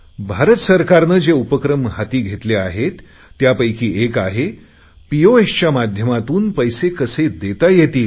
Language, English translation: Marathi, One of the initiatives in this regard taken by the Government of India is about how to make payments through 'Pos', how to receive money